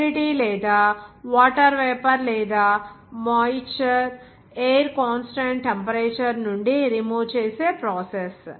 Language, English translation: Telugu, The process in which the moisture or water vapor or the humidity is removed from the air constant temperature